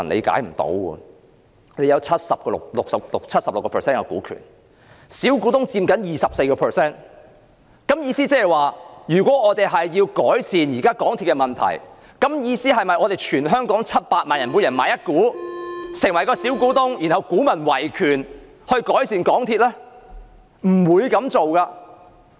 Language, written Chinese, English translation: Cantonese, 政府有 76% 股權，小股東佔 24%， 是否意味如要改善現時港鐵公司現況，全香港700萬人須各自購入一股，成為小股東，然後"股民維權"就可以改善港鐵公司呢？, As the Government holds 76 % of the shares while minority shareholders hold only 24 % does it mean that every one of the 7 million people in Hong Kong should buy one share and become MTRCLs shareholder if we want to improve the current situation of MTRCL so that the situation of MTRCL can be improved via the defence of legal rights by the minority shareholders?